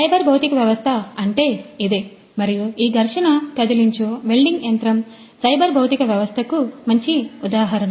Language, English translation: Telugu, So, this is what the cyber physical system is and this friction stir welding machine is a good example of this particular system the cyber physical system